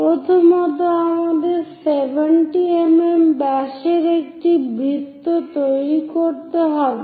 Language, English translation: Bengali, First, we have to construct a circle of diameter 70 mm